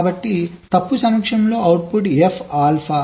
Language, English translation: Telugu, so in presence of fault, the output is f, alpha